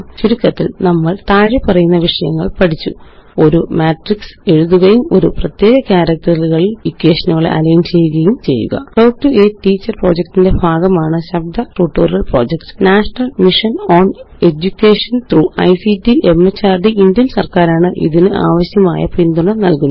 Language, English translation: Malayalam, To summarize, we learned the following topics: Write a Matrix And Align equations on a particular character Spoken Tutorial Project is a part of the Talk to a Teacher project, supported by the National Mission on Education through ICT, MHRD, Government of India